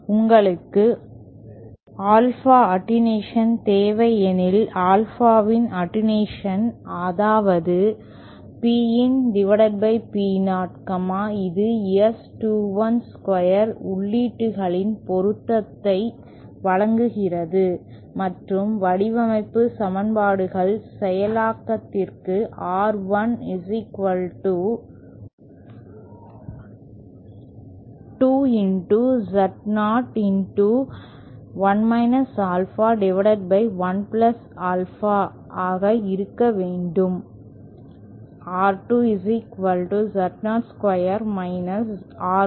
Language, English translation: Tamil, Suppose you need alpha attenuation, attenuation of alpha that is P out over P in, that is given by S21 square provided the inputs are matched and the design equations are that R1 should be equal to 2 Z0 into 1 alpha upon 1 + alpha